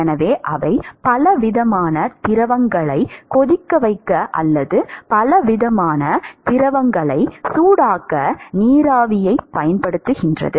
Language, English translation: Tamil, So, they use steam for boiling many different fluids, or heating many different fluids